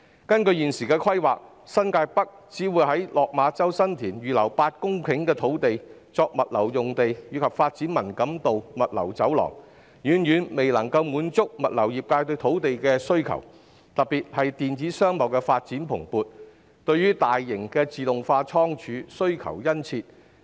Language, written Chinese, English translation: Cantonese, 根據現時的規劃，政府在新界北新田/落馬洲只會預留8公頃土地，用作物流用地及發展文錦渡物流走廊，這遠遠未能滿足物流業界對土地的需求，特別有鑒於電子商貿發展蓬勃，對大型自動化倉儲的需求日益殷切。, According to the current planning the Government will only reserve 8 hectares of land in San TinLok Ma Chau of New Territories North for logistics use and the development of the Man Kam To Logistics Corridor . This is far from adequate in meeting the logistics industrys demand for land . Particularly in view of the booming development of e - commerce the demand for large automated warehouses is increasing